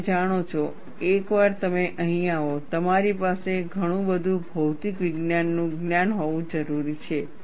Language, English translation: Gujarati, You know, once you come to here, too much of material science knowledge you need to have